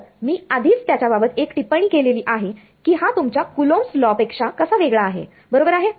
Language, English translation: Marathi, So, we have already made one comment about how this is different from your Coulomb's law right ok